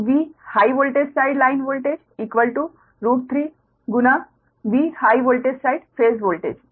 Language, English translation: Hindi, so v high voltage, side line voltage is equal to root three times v high voltage side phase voltage